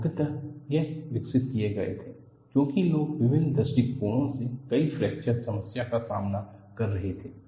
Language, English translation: Hindi, These were developed, mainly because people approach the fracture problem from various perspectives